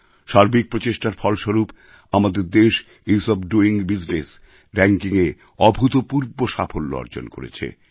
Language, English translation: Bengali, It is due to our collective efforts that our country has seen unprecedented improvement in the 'Ease of doing business' rankings